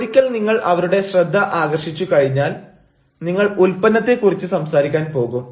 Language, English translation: Malayalam, yeah, once you have attracted their attention, then you are going to talk about the product